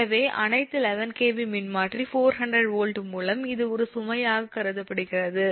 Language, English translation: Tamil, so all eleven kv transformer by four hundred volt it is considered as a load